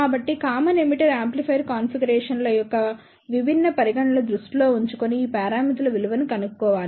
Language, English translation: Telugu, So, one should choose the value of these parameters by keeping in mind different considerations of the common emitter amplifier configurations